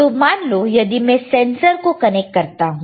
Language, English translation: Hindi, So, suppose I connect a sensor here